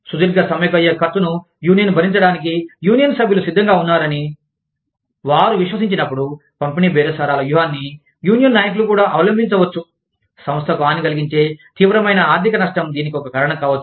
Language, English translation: Telugu, Union leaders may also adopt, distributive bargaining tactics, when they believe, union members are willing to accept, the cost of a long strike, that is likely to cause, a vulnerable company severe economic damage